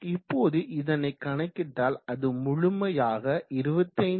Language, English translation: Tamil, So if we calculate this you will see that it is around 25